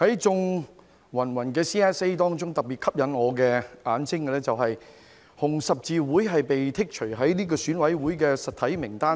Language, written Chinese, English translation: Cantonese, 在芸芸 CSA 中特別吸引我眼睛的是香港紅十字會被剔除選舉委員會的實體名單外。, What particularly caught my eye among the numerous Committee stage amendments was the exclusion of the Hong Kong Red Cross HKRC from the list of entities in the Election Committee EC